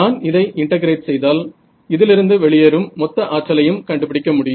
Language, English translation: Tamil, So, if I integrate if I want to find out how much is the total power leaving this right